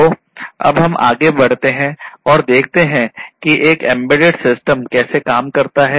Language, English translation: Hindi, So, now let us move forward and see how an embedded system works